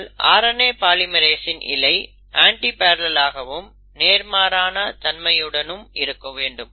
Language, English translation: Tamil, But the RNA polymerase, the strand has to be antiparallel, and it has to be complementary